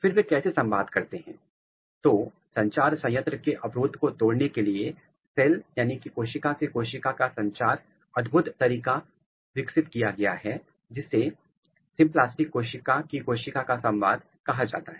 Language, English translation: Hindi, Then how they communicate, and, to break the barrier of communication plant has developed of wonderful way of cell to cell communication which is called symplastic cell to cell communication